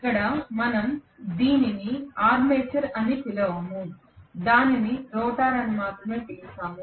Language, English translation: Telugu, Here we do not call it as armature, we only call it as rotor